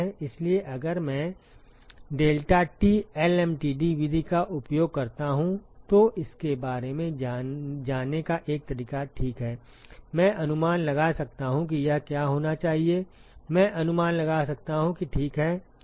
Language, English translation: Hindi, So, if I use the deltaT lmtd method, a way to go about it ok I can guess what should be this Tho I can guess that ok